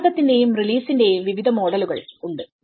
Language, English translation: Malayalam, There are various models of the pressure and release model